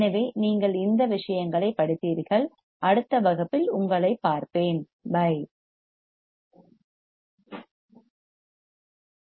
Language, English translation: Tamil, So, then you read this stuff and I will see you in the next class, bye